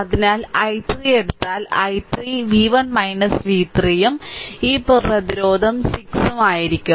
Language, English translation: Malayalam, So, if you take i 3 i 3 I 3 will be v 1 minus v 3 and this resistance is 6